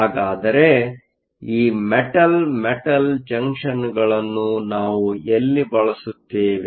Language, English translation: Kannada, So, where do we use these Metal Metal Junctions